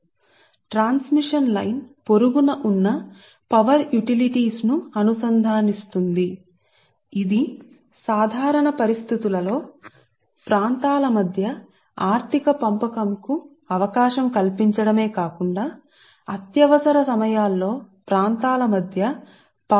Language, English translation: Telugu, right, so transmission line also interconnect neighboring power utilities just we have discussed before right, which allows not only economic dispatch of electrical power within regions during normal conditions, but also transfer of power between regions during emergencies, right